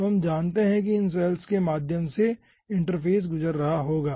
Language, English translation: Hindi, okay, so we we know that through this cells only the interface will be passing